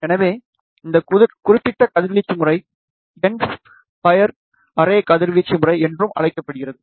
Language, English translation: Tamil, So, this particular radiation pattern is also known as end of fire array radiation pattern